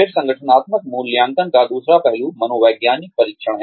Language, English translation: Hindi, Then, the other aspect of organizational assessment is, psychological testing